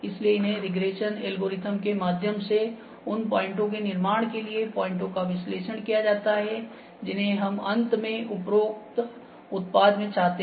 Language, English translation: Hindi, So, these via regression course algorithms, the points can be analyzed for construction of the features that we finally, need in above product